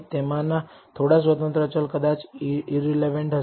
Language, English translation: Gujarati, Some of the independent variables may be irrelevant